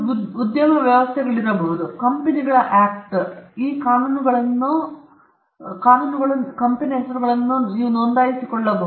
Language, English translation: Kannada, There may be some industry arrangement, there may be some other statutes like the Companies Act by which you can register company names